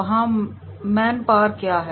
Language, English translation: Hindi, What is the man power there